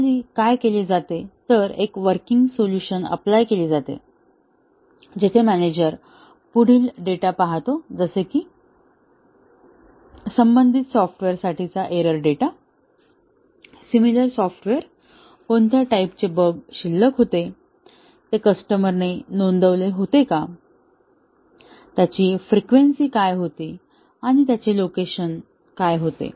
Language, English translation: Marathi, Normally, what is done is, a working solution, where the manager looks at the data, the error data for related software; similar software; he finds out, what were the types of bug that were remaining, were reported by the customer; what was their frequency and what were their locations